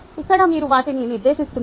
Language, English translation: Telugu, here you are directing them